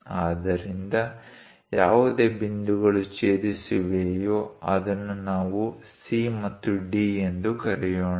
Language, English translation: Kannada, So, whatever the points intersected; let us call C and D